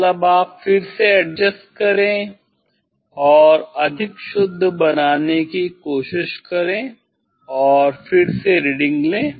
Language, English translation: Hindi, again, you just adjust you just adjust and try to make more accurate and again take reading